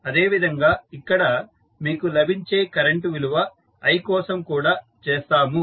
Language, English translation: Telugu, Similarly, for the value of current i which you get here